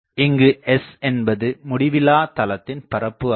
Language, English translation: Tamil, So, let us consider that this surface S is an infinite plane